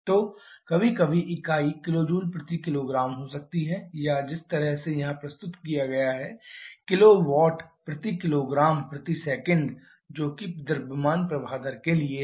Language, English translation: Hindi, So, or sometimes were unit can be kilo Joule per kg or just the way it is presented here kilo watt divided by kg per second which is for the mass flow rate